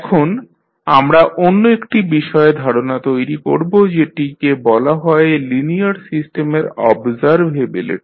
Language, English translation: Bengali, Now, let us understand another concept called observability of the linear system